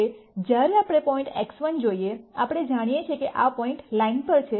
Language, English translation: Gujarati, Now, when we look at point X 1 we know that the point lies on the line